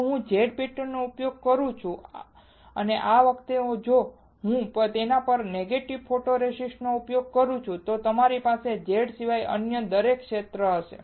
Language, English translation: Gujarati, If I use Z pattern again and this time if I use negative photoresist on it, then I would have every other area except Z exposed